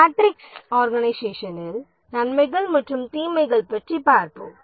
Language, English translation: Tamil, Let's look at the advantages and disadvantages of the matrix organization